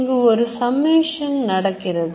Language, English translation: Tamil, There is a summation